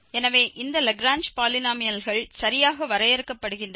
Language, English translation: Tamil, So, these are called the Lagrange polynomials of degree n